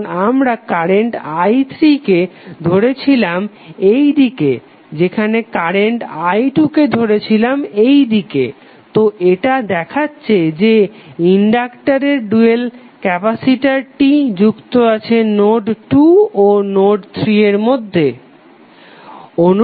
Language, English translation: Bengali, Because we are assuming current i3 in this direction while current i2 would be in this direction, so this will show that the inductor dual that is capacitor again would be connected between node 2 and node3